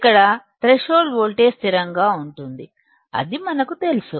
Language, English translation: Telugu, Here threshold voltage is constant, we know it